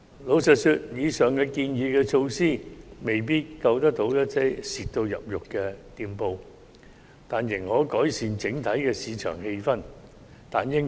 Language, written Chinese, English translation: Cantonese, 坦白說，以上建議的措施未必挽救到嚴重虧損的店鋪，但應可改善整體市場氣氛。, Frankly speaking the aforesaid measures may not be able to save shops suffering significant losses but they should be able to improve the general market sentiment